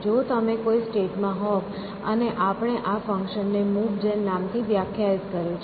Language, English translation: Gujarati, So, that if you are in a given state, and we had defined this function called move gen